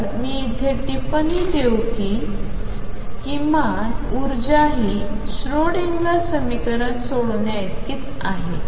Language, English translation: Marathi, So, let me comment here since the minimum energy is the same as by solving the Schrödinger equation